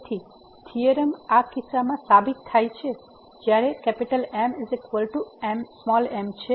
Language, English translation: Gujarati, So, the theorem is proved in this case when =m